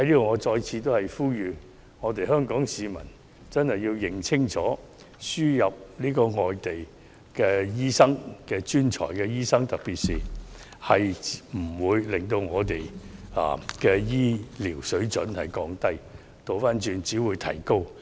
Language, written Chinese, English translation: Cantonese, 我在此再次呼籲：香港市民真的要認清楚，輸入外地專才醫生並不會降低我們的醫療水準，相反，水準會因而得以提高。, Once again I call upon the public in Hong Kong to see clearly that the importation of overseas specialist doctors will not lower our healthcare standard but in contrary will enhance our standard